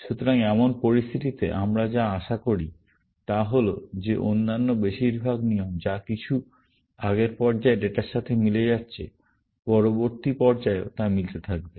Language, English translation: Bengali, So, what we expect in such a situation is that most of the other rules, which are matching with some data, earlier in the last cycle, will continue to match in the next cycle